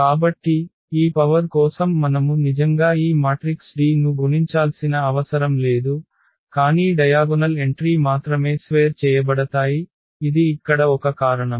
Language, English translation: Telugu, So, we do not have to actually multiply these matrices D here for this power, but only the diagonal entries will be squared and that is a reason here